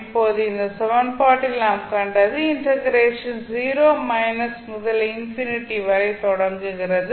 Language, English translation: Tamil, Now, what we saw in this equation, the integration starts from 0 minus to infinity